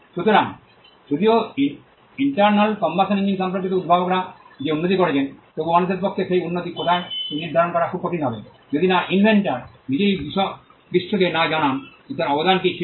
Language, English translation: Bengali, So, though there is an improvement that the inventor has made with regard to the internal combustion engine, it will be very difficult for people to ascertain where that improvement is, unless the inventor himself tells the world as to what was the contribution that he made